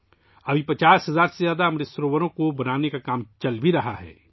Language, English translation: Urdu, Presently, the work of building more than 50 thousand Amrit Sarovars is going on